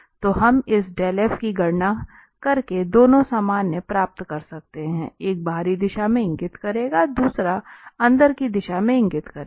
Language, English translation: Hindi, So, we can get both the normals by just computing this dell f, one will be pointing out in the outward direction, the other one will be pointing out in the inward direction